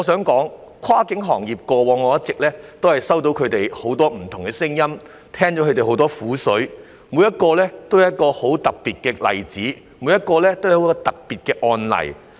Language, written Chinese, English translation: Cantonese, 過往，我一直聽到跨境運輸行業很多不同的聲音，聽到很多業界人士的苦水，他們每一個都是很特別的案例。, I have heard many different views voiced by the cross - boundary transport sector and the bitterness of many of its members each of whom is a very special case